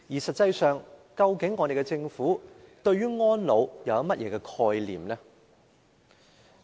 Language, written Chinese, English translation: Cantonese, 實際上，究竟我們的政府對安老有何概念？, In fact what concept does our Government hold about elderly care?